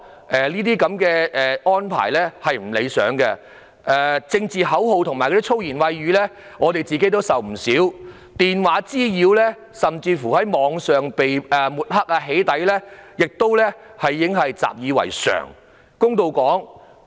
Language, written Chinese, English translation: Cantonese, 我們面對高叫政治口號及粗言穢語的情況也不少，而電話滋擾甚至在網上被抹黑和"起底"亦已習以為常。, Also there are numerous instances of people chanting political slogans and shouting foul language at us . Telephone nuisances online mudslinging and even doxxing have also become a norm